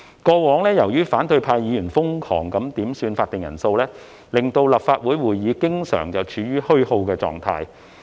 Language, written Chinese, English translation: Cantonese, 過往，由於反對派議員瘋狂點算法定人數，令立法會會議經常處於虛耗的狀態。, In the past the time of Council meetings has been wasted constantly due to the frantic quorum calls made by Members of the opposition camp